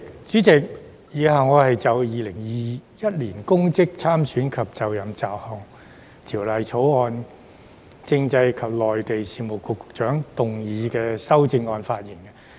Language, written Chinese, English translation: Cantonese, 主席，以下我會就《2021年公職條例草案》，政制及內地事務局局長動議的修正案發言。, President I will now speak on the amendments on the Public Offices Bill 2021 the Bill proposed by the Secretary for Constitutional and Mainland Affairs